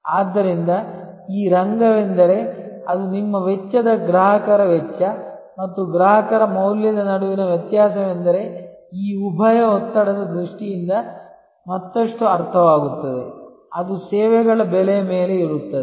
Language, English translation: Kannada, So, this arena is that is the difference between your cost customers cost and the value to the customer is the further understood in terms of this dual pressure; that is there on pricing of services